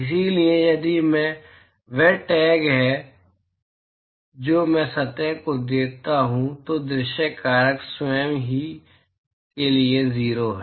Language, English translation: Hindi, So, if i is the tag that I give to the surface then the view factor to itself is 0